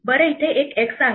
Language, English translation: Marathi, Well there is an x here